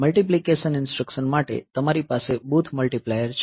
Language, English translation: Gujarati, So, for multiplication instruction, so, you have got booths multiplier